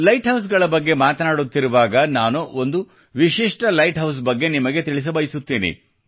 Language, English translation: Kannada, By the way, as we are talking of light houses I would also like to tell you about a unique light house